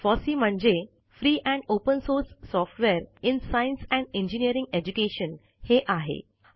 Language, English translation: Marathi, Fossee stands for Free and Open source software in science and engineering education